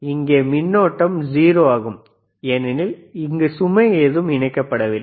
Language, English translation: Tamil, Here, there is a 0 point ccurrent is 0, because there is no load connected